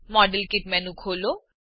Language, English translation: Gujarati, Open the modelkit menu